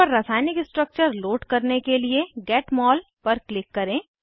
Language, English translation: Hindi, To load a chemical structure on the panel, click on Get Mol